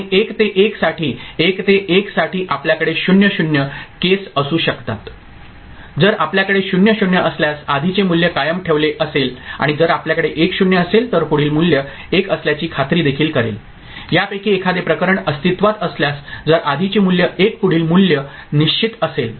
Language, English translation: Marathi, And for 1 to 1 for 1 to 1, you can have 0 0 case this is 1 to 1 if you have 0 0 right previous value is retained and if we have 1 0 that also will make sure that the next value is 1, in either case for these inputs being present if the previous value is 1 next value for sure will be 1